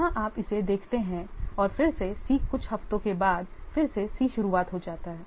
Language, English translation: Hindi, Here is see up to this and again C is after some weeks again C is started